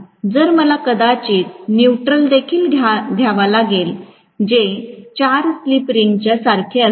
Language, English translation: Marathi, So, I might have to bring the neutral also which will correspond to the 4 slip rings